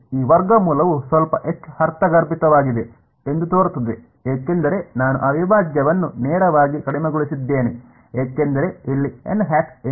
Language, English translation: Kannada, This root seems to be little bit more intuitive because I have reduced that integral straight away what is n hat over here